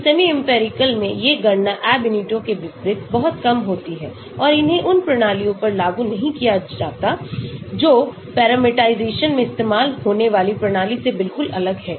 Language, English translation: Hindi, so these calculations in semi empirical are much less demanding unlike Ab initio and they cannot be applied to systems which are radically different from those used in the parameterization